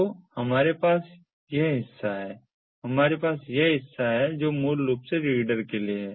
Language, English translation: Hindi, we have this part which basically is for the reader